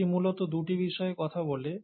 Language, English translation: Bengali, Essentially it talks about two things